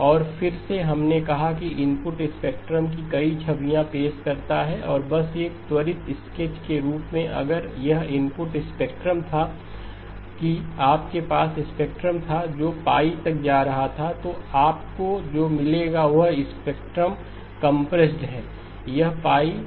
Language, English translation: Hindi, And again this we said introduces multiple images of the input spectrum and just as a quick sketch of that if this was the input spectrum that you had a spectrum going from up to pi then what you would get is the spectrum compressed